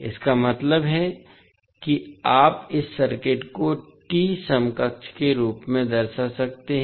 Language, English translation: Hindi, It means that you can represent this circuit as T equivalent